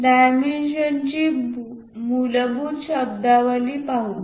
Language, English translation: Marathi, Let us look at basic terminology of dimensions